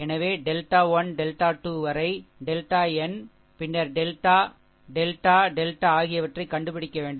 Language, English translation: Tamil, So, we have to find out delta 1, delta 2 up to delta n, and then delta delta delta, right